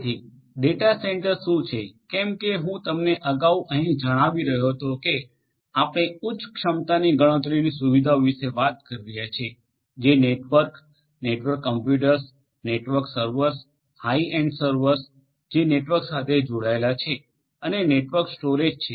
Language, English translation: Gujarati, So, what is a data centre, as I was telling you earlier here we are talking about high end computational facility which are networked, networked computers, network servers high end servers which are networked together and also network storage